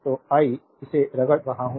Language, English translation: Hindi, So, I am rubbing this